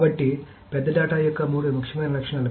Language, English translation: Telugu, So the three most important properties of big data